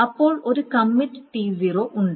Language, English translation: Malayalam, Then there is a commit, so then T0 commits